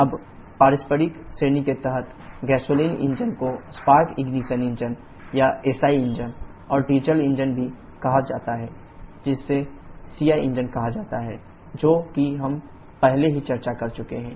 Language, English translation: Hindi, Now, under the reciprocating category, the gasoline engine also called the spark ignition engine or the SI engines and diesel engine also called CI engines are the ones which we have already discussed